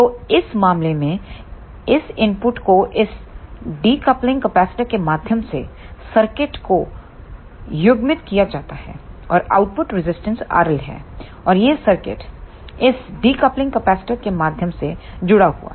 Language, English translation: Hindi, So, in this case these input is coupled to the circuit through this decoupling capacitor and the output resistance is R L and this is connected to the circuit through this decoupling capacitor